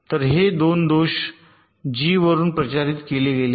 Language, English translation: Marathi, so these two faults, these have been propagated from g one